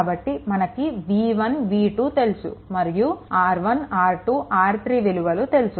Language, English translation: Telugu, So, this is your v y v 1 v 2 known if R 1, R 2, R 3, all are known